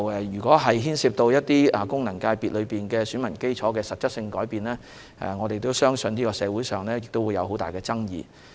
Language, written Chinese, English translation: Cantonese, 若牽涉到功能界別選民基礎的實質改變，我們相信社會上會有很大爭議。, If any substantial change in the electorate of FCs is involved we believe there will be a great controversy in society